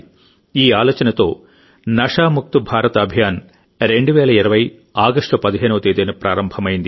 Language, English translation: Telugu, With this thought, 'NashaMukt Bharat Abhiyan' was launched on the 15 August 2020